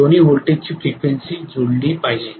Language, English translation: Marathi, The frequencies of both the voltages should match